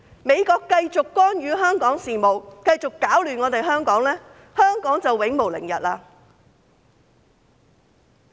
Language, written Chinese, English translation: Cantonese, 美國繼續干預香港事務，繼續攪亂香港，香港便永無寧日。, If the United States continues to interfere in Hong Kong affairs and causes chaos in Hong Kong Hong Kong will never have peace